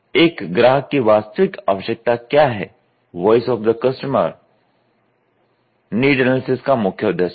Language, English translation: Hindi, So, the true need of the customer the voice of the customer is the main concern of the need analysis, ok